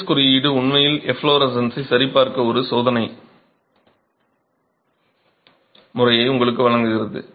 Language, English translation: Tamil, The IS code actually gives you a test method to check efflorescence